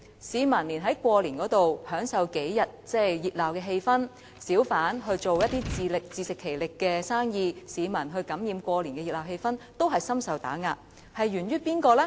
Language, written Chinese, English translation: Cantonese, 市民想在過年期間感受數天的熱鬧氣氛，小販想自食其力地做生意，但也深受打壓，這問題究竟源於誰呢？, The public simply want to immerse in the festive atmosphere for a few days during the Chinese New Year while the hawkers seek to earn a living and be self - reliant but they are subject to severe suppression . Who should be held accountable for this problem?